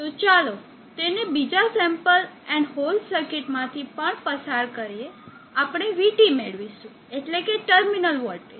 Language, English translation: Gujarati, So let us that is also pass through the another sample and hole, we will get VT, the terminal voltage, what is expected of the array